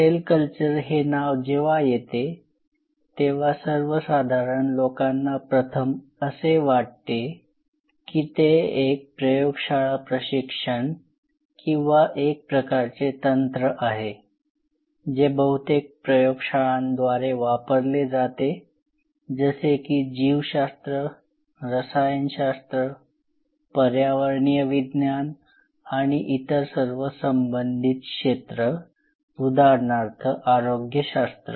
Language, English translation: Marathi, So, the name cell culture, whenever it comes gross people have the first feeling that well, it is a lab training or a kind of a technique which is used by most of the labs, who worked at the interface area biology chemistry environmental sciences and all other allied fields might metabolic sciences say for example